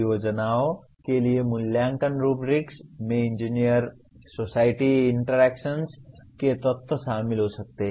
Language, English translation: Hindi, The evaluation rubrics for projects can incorporate elements of engineer society interaction